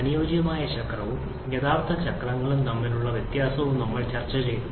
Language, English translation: Malayalam, We have also discussed about the difference between the ideal cycle and actual cycles